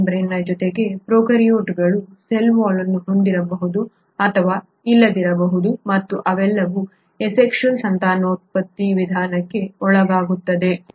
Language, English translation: Kannada, In addition to cell membrane the prokaryotes may or may not have a cell wall and they all undergo asexual mode of reproduction